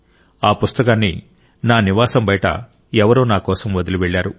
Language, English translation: Telugu, Someone had left this book for me outside my residence